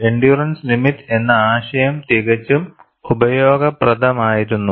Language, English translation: Malayalam, The concept of endurance limit was quite useful